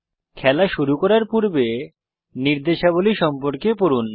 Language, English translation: Bengali, Read the instructions to play the game